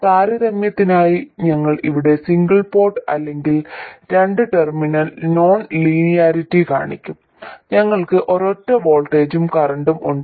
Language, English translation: Malayalam, And just for comparison I will show the single port or a 2 terminal non linearity here, we have a single voltage and a current